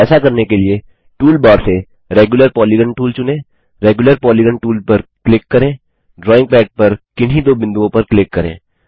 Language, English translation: Hindi, To do this let us select the Regular Polygon tool from the tool bar click on the Regular Polygon tool click on any two points on the drawing pad